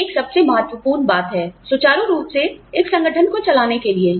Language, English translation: Hindi, This is, the single most important thing, in running an organization, smoothly